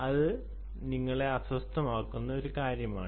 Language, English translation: Malayalam, that maybe one thing that may be bothering you